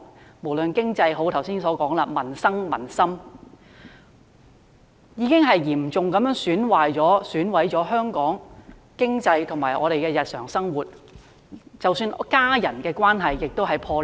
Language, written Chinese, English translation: Cantonese, 正如我剛才所說，在經濟、民生及民心方面，均已嚴重損害香港經濟，以及我們的日常生活，即使是家人之間的關係亦破裂。, As I said just now with regard to the economy peoples livelihood and public confidence Hong Kong economy and our everyday life have been hit hard . Even family members have fallen out with each other